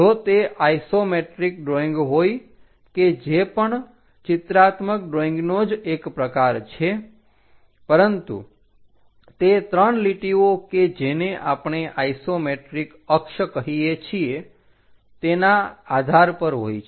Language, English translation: Gujarati, If it is isometric drawing a type of it is also a type of pictorial drawing, but based on 3 lines which we call isometric access